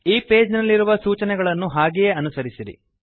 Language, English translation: Kannada, Just follow the instructions on this page